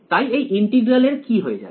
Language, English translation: Bengali, So, what will happen to this integral